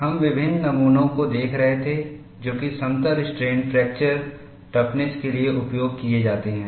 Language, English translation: Hindi, We were looking at various specimens that are used for plane strain fracture toughness